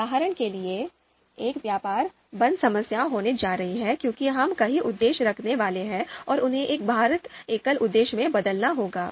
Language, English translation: Hindi, For example, there is going to be a trade off problem right because we are going to have multiple objectives and they would have to be transformed into a weighed single objective